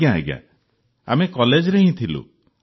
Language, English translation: Odia, We were still in college